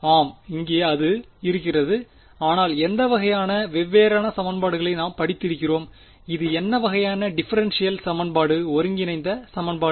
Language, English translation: Tamil, Yes here it is, but which kind we have studied different kinds of integral equations what kind of differential equation integral equation is this